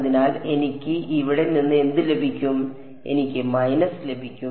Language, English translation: Malayalam, So, what will I get from here I will get a minus